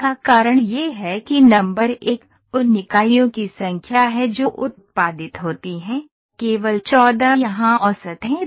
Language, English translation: Hindi, The reason for this is that number one is the number of units those are produced is only 14 is the average here